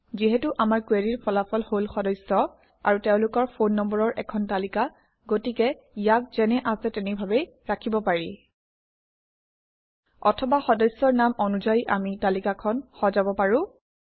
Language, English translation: Assamese, Since the result of our query is a list of members and their phone numbers, we can leave this as is, Or we can order the list by member names